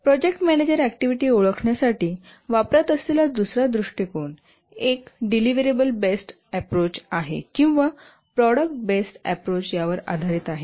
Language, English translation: Marathi, The second approach that the project manager uses to identify the activities is based on a deliverable based approach or product based approach